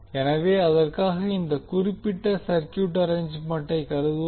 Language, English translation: Tamil, So for that lets consider this particular circuit arrangement